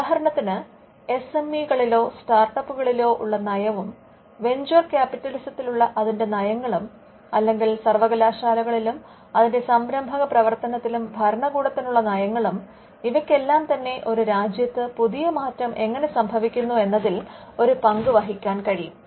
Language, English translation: Malayalam, For instance, the policy that it has on SME’s or on startups and the policies it has on venture capitalist or the policies the state has on universities and the entrepreneurial activity there, these can also play a role on how innovation happens in a country and this is again a part of the entrepreneurial function of the state